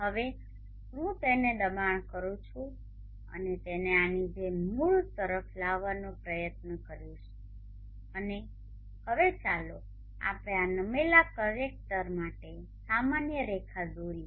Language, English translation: Gujarati, I will now push and try to bring it down to the origin like this and also now let us draw a line normal to this tilted collector